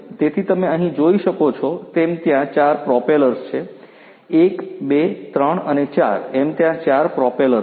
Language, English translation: Gujarati, So, as you can see over here there are 4 propellers; 1 2 3 and 4 there are 4 propellers